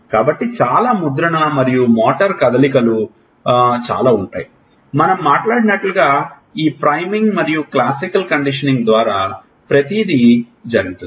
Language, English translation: Telugu, So, there are a lot of imprinting and lot of motor movements everything has gone through this priming and classical conditioning as we have talked about